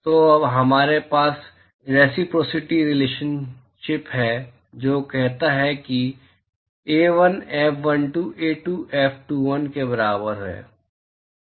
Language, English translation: Hindi, So, now we have reciprocity relationship which says that A1 F12 equal to A2 F21